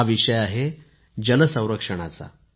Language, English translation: Marathi, It is the topic of water conservation